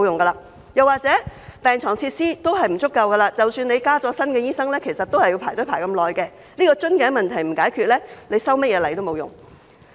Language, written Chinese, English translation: Cantonese, 他們又或會說，病床設施不足，即使增加新醫生，病人仍要輪候很長時間，這個瓶頸問題若不解決，修甚麼例都沒用。, They may further argue that even if there are more doctors patients will still have to wait in the long queues as beds and facilities are running short . Failing to address this bottleneck will render the legislative amendment useless